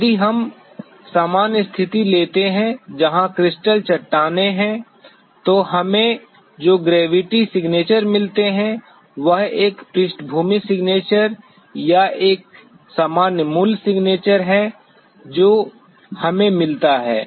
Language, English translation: Hindi, If we take the normal situation where there are crustal rocks, the gravity signature that we get is a background signature or a normal original signature which we get